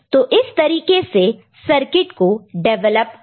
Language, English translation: Hindi, So, this is the way circuit is made